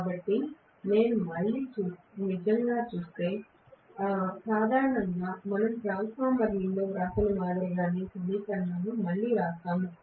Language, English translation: Telugu, So, if I actually look at, if there are normally we write the equation again similar to what we wrote in the transformer